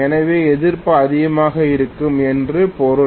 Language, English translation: Tamil, So which means resistance will be high